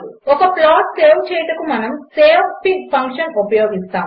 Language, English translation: Telugu, So saving the plot, we will use savefig() function